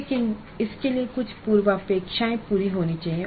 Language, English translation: Hindi, But this would require that certain prerequisites are made